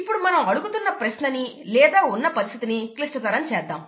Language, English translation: Telugu, Now let us complicate the question that we are asking or the situation that we are in